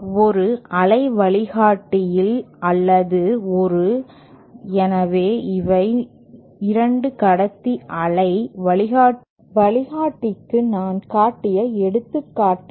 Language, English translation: Tamil, In a waveguide or in aÉ So, these are, these are the examples that I showed for 2 conductor waveguide